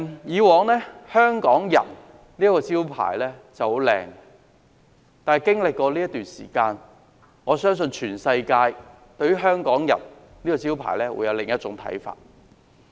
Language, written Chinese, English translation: Cantonese, 以往"香港人"是個很棒的招牌，但經過這段時間，我相信全世界對於"香港人"這個招牌會有另一種看法。, In the past Hongkonger is a marvellous brand but after this period of time I think people around the world will view the brand of Hongkonger differently